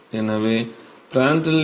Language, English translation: Tamil, So, Prandtl number is 0